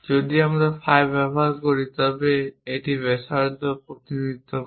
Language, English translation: Bengali, We can see that something like phi representing diameter 1